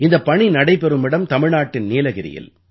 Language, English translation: Tamil, This effort is being attempted in Nilgiri of Tamil Nadu